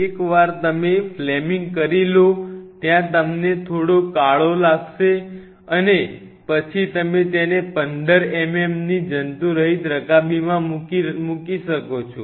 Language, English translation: Gujarati, Once you do the flaming there will be a slight kind of you know blackening and then you can place it in a sterile 15 mm dish